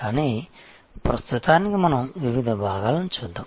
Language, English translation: Telugu, But, at the moment let us look at the different parts